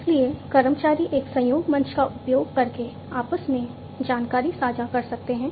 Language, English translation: Hindi, So, employees can share information between themselves using a collaboration platform